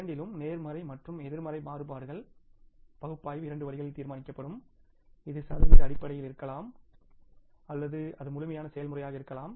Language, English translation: Tamil, In case of both positive and negative variance is analysis we decide into two ways, it can be either in the percentage terms or it can be in absolute terms